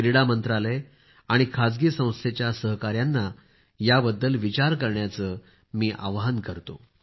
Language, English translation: Marathi, I would urge the Sports Ministry and private institutional partners to think about it